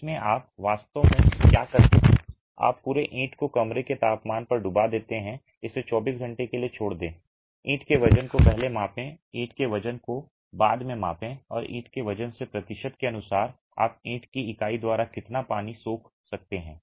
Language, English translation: Hindi, In this what you really do is you submerge the entire brick at room temperature, leave it for 24 hours, measure the weight of the brick before, measure the weight of the brick after and you get by percentage by weight of the brick how much water can be absorbed by the brick unit